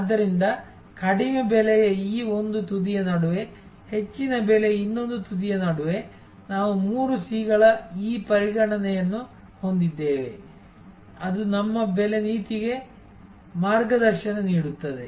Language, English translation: Kannada, So, between this one end of low price, another end of high price, we have this considerations of the three C’S, which will guide our pricing policy